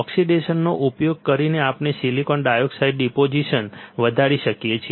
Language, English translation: Gujarati, By using oxidation we can grow silicon dioxide deposition